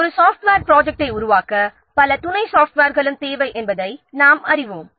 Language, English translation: Tamil, So we know that in order to develop a software project, many other supporting software are also in a date